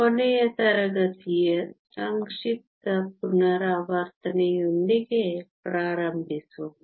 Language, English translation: Kannada, Let us start with a brief review of last class